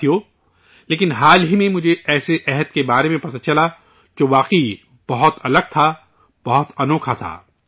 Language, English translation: Urdu, Friends, recently, I came to know about such a resolve, which was really different, very unique